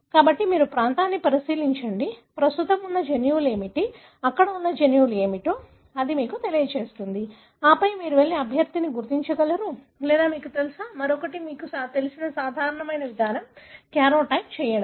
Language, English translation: Telugu, So, you look into region, what are the genes present, it would tell you what are the genes that are there, right and then you can identify a candidate for you to go and sequence or you know, another you know routine approach people do is to do karyotype